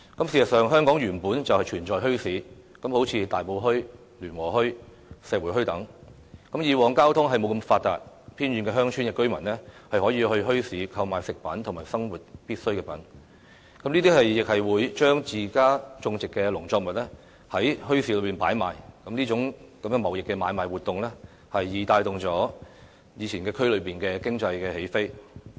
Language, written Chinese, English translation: Cantonese, 事實上，香港本來便存在墟市，例如大埔墟、聯和墟、石湖墟等，以往交通不大發達，偏遠鄉村的居民可以到墟市購買食品和生活必須品，他們亦會將自家種植的農作物放在墟市擺賣，這種貿易買賣活動帶動了區內的經濟起飛。, In fact bazaars have long existed in Hong Kong such as those at Tai Po Market Luen Wo Hui and Shek Wu Hui . As the transport facilities were less developed in the past residents of remote villages could shop for groceries and the basic necessities for living in these bazaars and they would also put up for sale in the bazaars agricultural produces grown by themselves . These trade activities gave impetus to the economic take - off in the districts